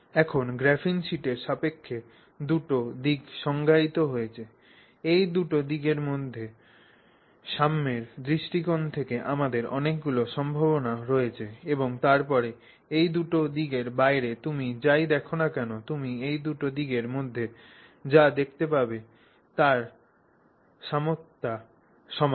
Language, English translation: Bengali, So, now with respect to the graphene sheet, there are two directions that are defined from the perspective of symmetry between these two directions we have a range of possibilities and then outside of these two directions whatever you see by symmetry is the same as what you would see within these two directions